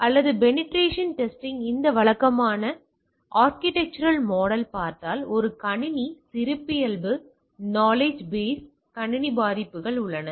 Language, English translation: Tamil, Or if you look at the typical architectural model of a penetration testing tool, so, there is a system characteristic knowledge base and system vulnerabilities right